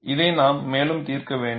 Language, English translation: Tamil, We have to solve this further